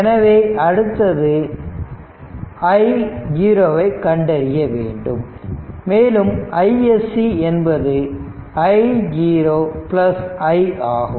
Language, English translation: Tamil, So, then we have to find out i 0 then I SC will be basically i 0 plus i